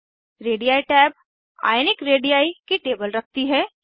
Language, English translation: Hindi, Radii tab shows a table of Ionic radii